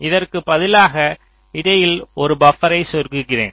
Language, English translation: Tamil, instead of this, i insert a buffer in between